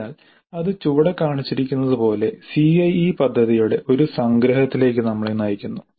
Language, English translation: Malayalam, So that leads us to a summary of the CIA plan as shown below